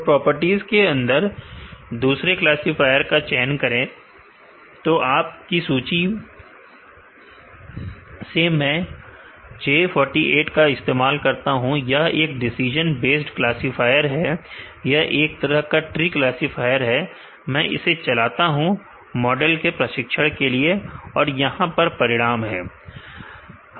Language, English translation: Hindi, So, under the properties choose an another classifier, from your list let me use J 48 is a decision based classifier, it is a tree classifier, I am running the training the model and, here are the results